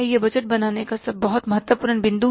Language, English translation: Hindi, It is a very important point in budgeting